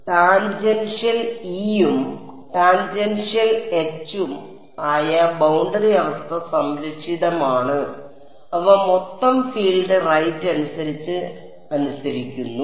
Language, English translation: Malayalam, Boundary condition which is tangential E and tangential H are conserve they are obeyed by total field right